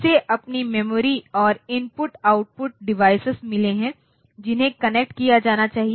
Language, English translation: Hindi, So, it has got its own memory and input output devices that should be connected